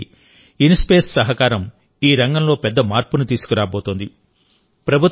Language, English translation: Telugu, In particular, the collaboration of INSPACe is going to make a big difference in this area